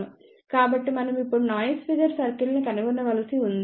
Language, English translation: Telugu, So, now, we have to find out constant noise figure circle